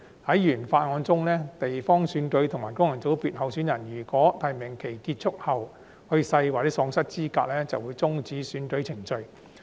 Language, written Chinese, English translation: Cantonese, 在原法案中，地方選區和功能界別候選人如果在提名期結束後去世或喪失資格，便會終止選舉程序。, Under the original Bill if a candidate for geographic constituency or functional constituency elections has died or is disqualified after the close of nominations the proceedings for the election will be terminated